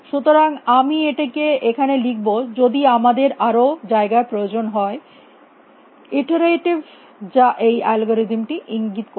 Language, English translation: Bengali, So, I will write it here in case in either space iterative as a algorithm suggests